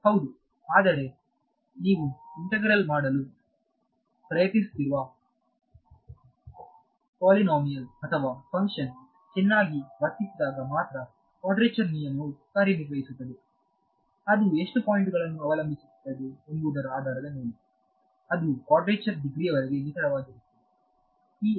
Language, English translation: Kannada, Yeah, but then that works quadrature rule works when the polynomial or function that you are trying to integrate is well behaved right, it should be it will be accurate up to polynomial degree of so much depending on how many points and you do not know you do not know how jumpy this electric field is going to be